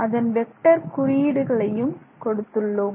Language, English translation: Tamil, So, I'll put the vector of symbol here